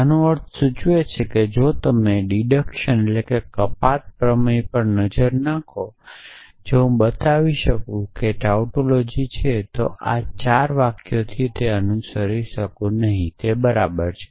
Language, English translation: Gujarati, This implies if you look at the deduction theorem that if I can show that to be a tautology then I can this t follows from those four sentences is equivalent